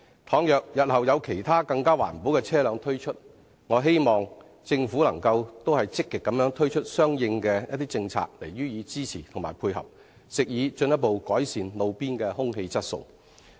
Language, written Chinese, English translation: Cantonese, 倘若日後有其他更環保的車輛推出，我希望政府亦能積極推出相應的政策予以支持及配合，藉以進一步改善路邊的空氣質素。, I hope that if there emerge any types of vehicles which are even more environment - friendly in the future the Government can likewise roll out active policies to support and dovetail with their development so as to further improve roadside air quality